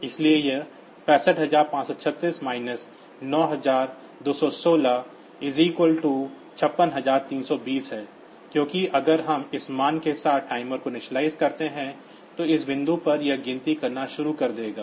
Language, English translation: Hindi, So, this 65536 minus 9216 is 56320, because these if we initialize the timer with this value, then from this point onwards